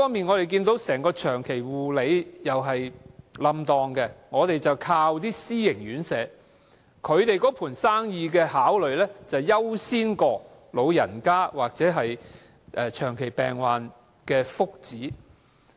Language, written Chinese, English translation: Cantonese, 我們依靠私營院舍提供服務，但私營院舍優先考慮的是生意，而不是老人家或長者病患的福祉。, In Hong Kong we rely on private residential care homes for the elderly to take up the role as the major provider of the care services . Yet the prime concern of private RCHEs is business not the welfare of the elderly people or patients